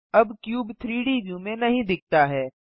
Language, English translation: Hindi, The cube is no longer visible in the 3D view